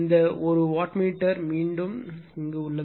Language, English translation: Tamil, So, this is the reading of the second wattmeter right